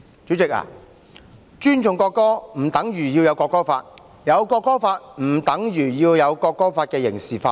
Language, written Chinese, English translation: Cantonese, 主席，尊重國歌不等於要訂立國歌法，訂立國歌法不等於要將國歌法刑事化。, Chairman showing respect to the national anthem does not mean to enact a national anthem law and enacting a national anthem law does not mean to criminalize the national anthem law